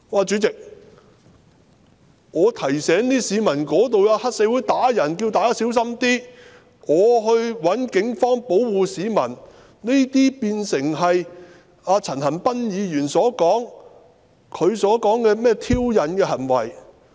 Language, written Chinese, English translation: Cantonese, "主席，我提醒市民，該處有黑社會毆打市民，請大家小心一點，並要求警方保護市民，這些都變成陳恒鑌議員所說的挑釁行為。, Chairman I alerted the people of triad members assaulting members of the public there and asked them to watch out . I also requested the Police to protect members of the public . All these became provocative acts in Mr CHAN Han - pans words